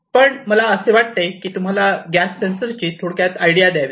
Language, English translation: Marathi, But I thought that let me give you a brief idea about one of the sensors the gas sensor